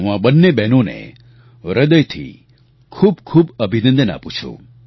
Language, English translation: Gujarati, I convey my heartiest congratulations to both of them